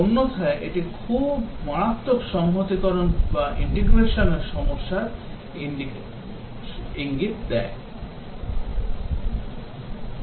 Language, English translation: Bengali, Otherwise, it will indicate a very severe integration problem